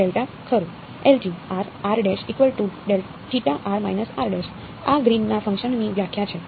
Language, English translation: Gujarati, Delta right, this is the definition of Greens function right